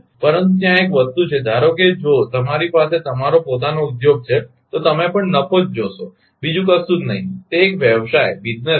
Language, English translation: Gujarati, But one thing is there as per as suppose if you have your own industry, you will also look into the profit nothing else right it is a business